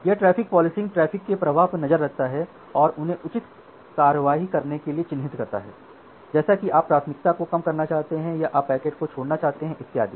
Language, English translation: Hindi, Now, this traffic policing it monitors the flow of traffic and mark them to take appropriate action, like whether you want to reduce the priority or whether you want to drop the packets and so on ok